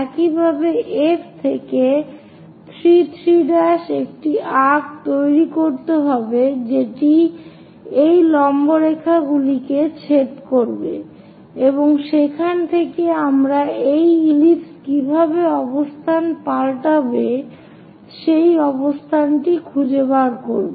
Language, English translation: Bengali, Similarly, 3 3 prime from F make an arc, so that is going to intersect these perpendicular lines and from there we will be in a position to find out how this ellipse is going to move